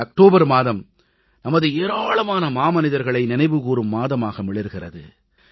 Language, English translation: Tamil, The month of October is a month to remember so many of our titans